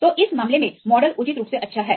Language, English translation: Hindi, So, in this case, the model is reasonably good right fine